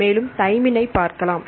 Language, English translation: Tamil, So, we can see the thymine